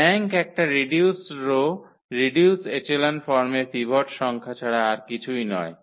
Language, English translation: Bengali, The rank is nothing but the number of pivots in a reduced row reduced echelon form